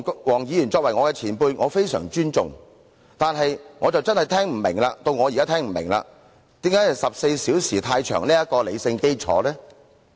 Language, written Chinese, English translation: Cantonese, 黃議員作為我的前輩，我非常尊重他，但我現在真的聽不明白，他提出辯論14小時是過長的理性基礎何在？, Mr WONG is my senior colleague and I respect him very much . But now I really do not understand on what rational basis he claims that a 14 - hour debate is too long